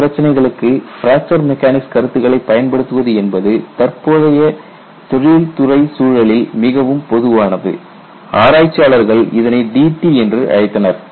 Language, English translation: Tamil, You know if you want to apply fracture mechanics for field problems, now it is very common in industrial environment, they called this as d t